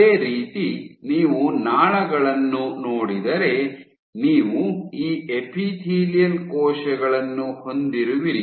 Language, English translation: Kannada, So, similarly if you look at the ducts, so what you will find is you have these epithelial cells